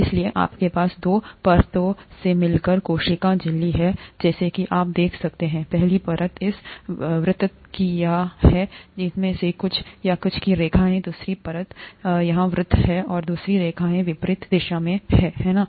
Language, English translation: Hindi, So you have the cell membrane consisting of two layers as you could see; the first layer is this circle here and some of these, the, lines here, the second layer is circle here and the other lines in the opposite direction, right